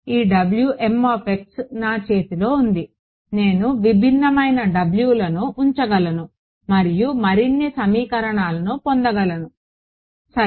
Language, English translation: Telugu, This guy W m x is in my hand I can put in different different w’s get more and more equations ok